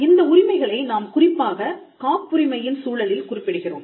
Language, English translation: Tamil, Now, this we are referring to these rights especially in the context of patents